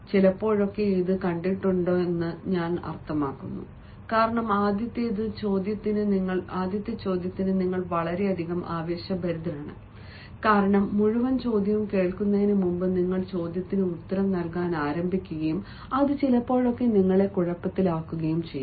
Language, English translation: Malayalam, i mean sometimes it has been seen, because you are very much excited for your first job, you start answering the question before you have heard the entire question and that may put you into trouble